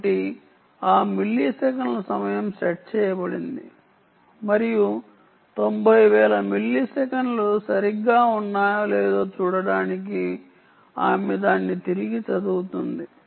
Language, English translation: Telugu, so she increases this time to ninety thousand milliseconds so that milliseconds time is set and ah, she reads it back to see whether ninety thousand milliseconds